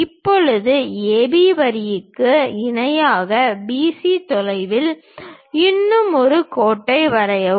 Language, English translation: Tamil, Now, parallel to AB line draw one more line at a distance of BC